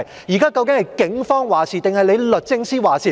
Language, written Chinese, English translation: Cantonese, 現時究竟是警方還是律政司作主？, Now who is actually calling the shots the Police or DoJ?